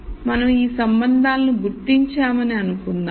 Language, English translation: Telugu, So, let us assume that we have identified these relationships